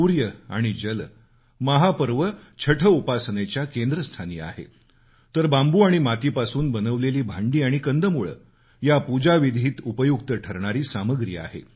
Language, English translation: Marathi, Surya & Jal The Sun & Water are central to the veneration in Chhath, whereas utensils made of bamboo & clay and tubers are an essential part of the Pooja articles